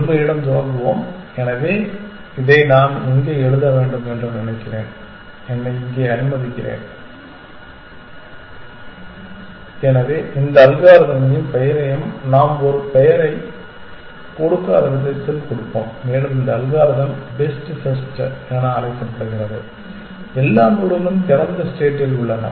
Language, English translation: Tamil, Let us start with completeness, so where should I write this I think let me here, so let us give this algorithm and name by the way we haven’t given it a name and this algorithm is called best first best first in the sense that of all the nodes in the open